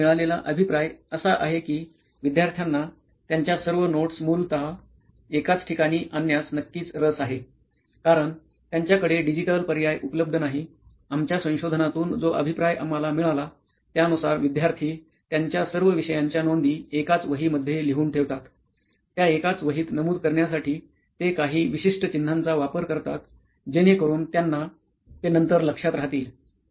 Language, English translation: Marathi, So the feedback that we received is that students are certainly interested to bring all their notes into one location essentially, because they do not have a digital alternative our feedback from our research what we have identified is that lot of students are using a single register to capture notes from all the subjects that they are learning from say morning till evening and they probably use bookmarks or posts it to you know organize their notes within that single notebook